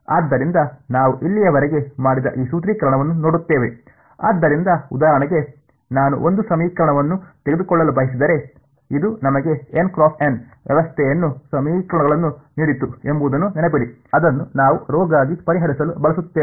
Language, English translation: Kannada, So, looking at this formulation that we did so far right; so for example, if I wanted to take one equation so, remember this gave us a N cross N system of equations, which we use to solve for rho